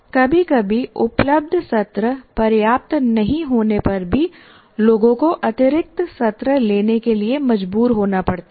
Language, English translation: Hindi, Sometimes even if available sessions are not enough, people are forced to take additional sessions